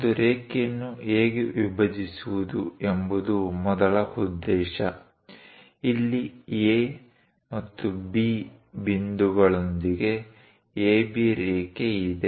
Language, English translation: Kannada, The first objective is how to bisect a line; here there is an AB line with points A and B